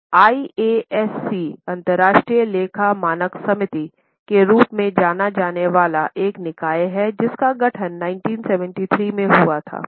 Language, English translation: Hindi, Now, there is a body known as IASC International Accounting Standards Committee which was formed in 1973